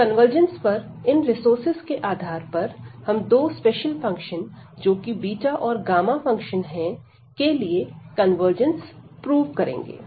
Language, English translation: Hindi, So, based on this these resources some on convergence we will prove the convergence of two special functions which are the beta and gamma functions